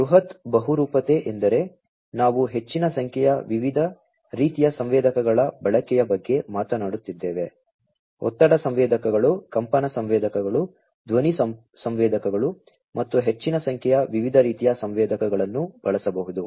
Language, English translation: Kannada, Massive polymorphism means, we are talking about the use of large number of different types of sensors, pressure sensors, vibration sensors, sound sensors, and large number of different types of sensors could be used